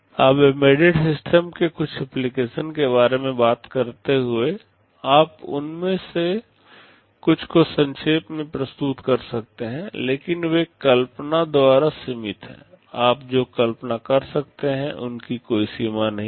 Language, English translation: Hindi, Now talking about some applications of embedded systems, you can summarize some of them, but they are limited by imagination, there is no limit to what you can imagine